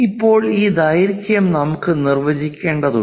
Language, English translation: Malayalam, Now, we have this length also has to be defined